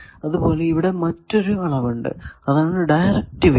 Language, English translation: Malayalam, Similarly, there is another quantity directivity